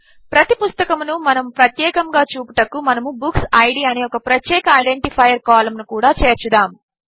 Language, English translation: Telugu, To distinguish each book, let us also add a unique identifier column called BookId